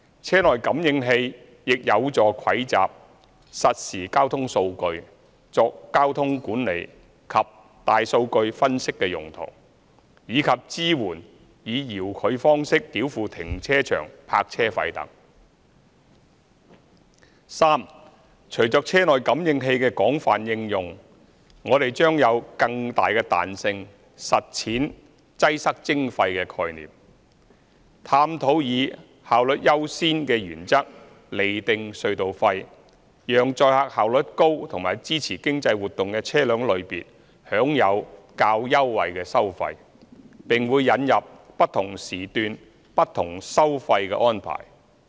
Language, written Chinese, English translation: Cantonese, 車內感應器亦有助蒐集實時交通數據作交通管理及大數據分析用途，以及支援以遙距方式繳付停車場泊車費等；第三，隨着車內感應器的廣泛應用，我們將有更大彈性實踐"擠塞徵費"的概念，探討以"效率優先"原則釐定隧道費，讓載客效率高和支持經濟活動的車輛類別享有較優惠的收費，並會引入"不同時段、不同收費"的安排。, IVUs will also facilitate the collection of real - time traffic data for traffic management and big data analytics and support the payment of parking fees by remote means; Third with the wide application of IVUs we will have greater flexibility to adopt congestion charging and explore the possibility of determining toll levels on an efficiency first basis with a view to enabling efficient people carriers and vehicles that support economic activities to enjoy lower tolls and introducing differential toll levels at different periods